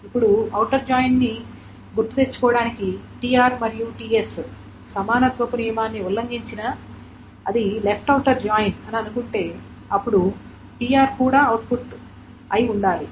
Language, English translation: Telugu, So now outer joint to recall, even if a TR and TS do not agree on the equality, suppose it is a left outer joint then the TR must be output as well